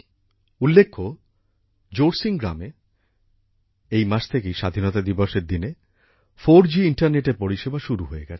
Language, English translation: Bengali, In fact, in Jorsing village this month, 4G internet services have started from Independence Day